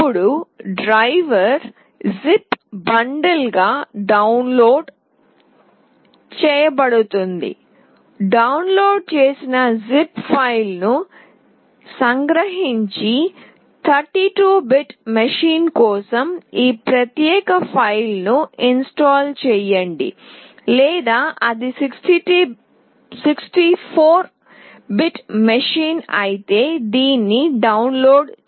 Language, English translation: Telugu, Then the driver will be downloaded as a zip bundle, extract the downloaded zip file and install this particular file for 32 bit machine, or if it is 64 bit machine then download this one